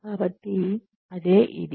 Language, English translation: Telugu, So, that is what, this is